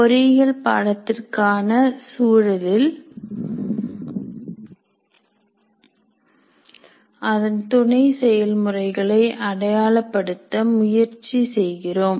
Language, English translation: Tamil, So, in the context of engineering programs, we are trying to identify the sub processes